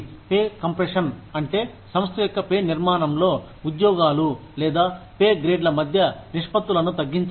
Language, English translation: Telugu, Pay compression refers to, the narrowing of the ratios of pay, between jobs or pay grades, in a firm